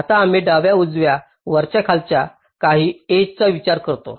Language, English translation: Marathi, now we consider some edges: left, right, top, bottom